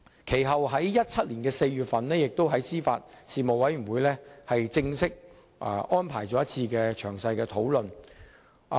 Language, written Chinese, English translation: Cantonese, 其後，在2017年4月，司法及法律事務委員會亦正式安排了一次討論。, Subsequently the Panel on Administration of Justice and Legal Services arranged a formal discussion in April 2017